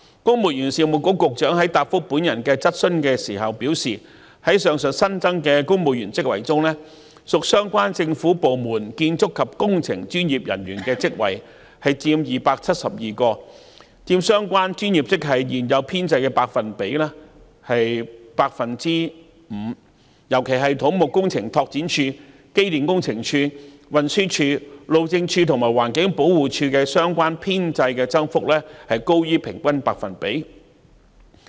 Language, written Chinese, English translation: Cantonese, 公務員事務局局長在答覆我的質詢時表示，在上述新增的公務員職系中，屬相關政府部門的建築及工程專業人員職位佔272個，佔相關專業職位現有編制的 5%， 尤其是土木工程拓展署、機電工程署、運輸署、路政署及環境保護署的相關編制增幅均高於平均百分比。, In his reply to my question the Secretary for the Civil Service says that among the new civil service posts mentioned above 272 posts in the relevant government departments are of the construction and relevant engineering professional grades accounting for 5 % of the existing establishment of the relevant professional grades . In particular the percentage increases of the establishments of the Civil Engineering and Development Department Electrical and Mechanical Services Department Transport Department Highways Department and Environmental Protection Department exceed the average percentage